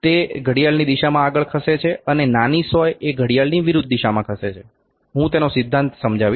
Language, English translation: Gujarati, It is moving in a clockwise direction, the smaller needle is moving with the anti clockwise direction, I will explain the principle